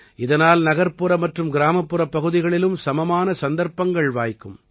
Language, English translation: Tamil, This provides equal opportunities to both urban and rural people